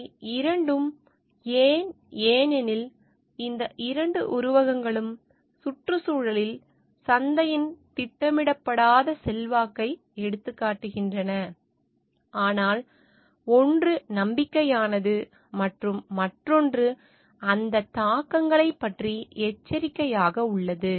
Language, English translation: Tamil, Both these why, because both these metaphors have highlighted the unintended influence of the marketplace on the environment, but one is optimistic and the other is cautionary about those impacts